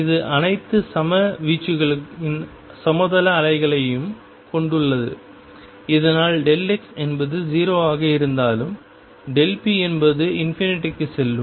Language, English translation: Tamil, And this contains plane waves of all equal amplitudes so that delta x is although 0 delta p goes to infinity